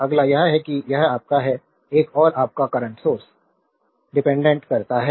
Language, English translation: Hindi, Next is that, this is your, another your dependent current source